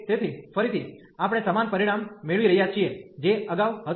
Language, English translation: Gujarati, So, again we are getting the similar result, which was earlier one